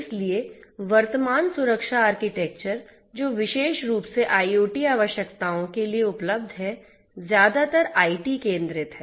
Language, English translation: Hindi, So, the current security architectures that are available particularly for catering to IoT requirements are mostly IT centric